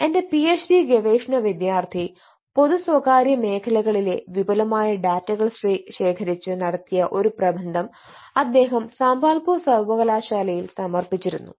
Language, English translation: Malayalam, wn another study: one of my phd research scholars, who also conducted extensive data in public and private sector organization, who just um submitted his thesis in sambalpur university